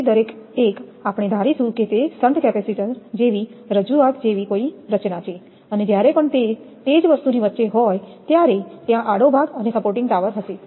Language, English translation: Gujarati, So, each one we will assume that it is a formation of something like a representation like the shunt capacitor and whenever it is that is between and same thing that there will be a cross arm and supporting tower